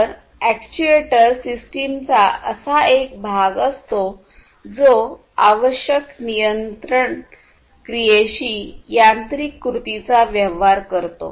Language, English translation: Marathi, So, an actuator is a part of the system that deals with the control action that is required, the mechanical action